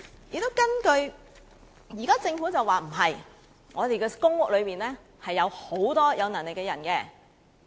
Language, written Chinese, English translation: Cantonese, 現在政府表示，情況不是這樣的，公屋住戶中有許多有能力的人。, Now the Government says that is not the case . There are many capable people among the PRH households